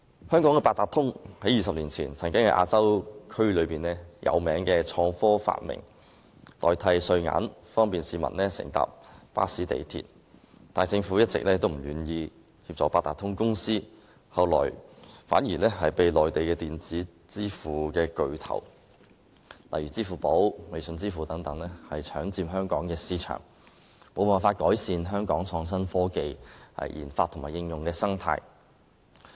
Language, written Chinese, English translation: Cantonese, 香港的八達通在20年前被視為亞洲著名的創科發明，不但可代替硬幣使用，而且方便市民乘搭巴士和港鐵等交通工具，但政府一直不願意協助八達通卡有限公司，以致後來反被內地稱為電子之父的巨頭，例如支付寶、微信支付等搶佔香港市場，令香港無法改善創新科技研發及應用的生態。, Not only can it be used to substitute coins it can also facilitate the public in taking different modes of transport such as buses and the Mass Transit Railway in Hong Kong . However the Government has been reluctant to offer assistance to the Octopus Cards Limited . Subsequently some big guns on the Mainland also dubbed as fathers of electronic transactions such as Alipay and WeChat Pay competed for a share of the Hong Kong market making it impossible for Hong Kong to improve its ecology for research development and application of innovation and technology